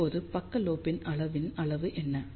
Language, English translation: Tamil, Now, what is the magnitude of side lobe level